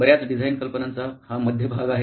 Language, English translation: Marathi, This pretty much is the central piece of design thinking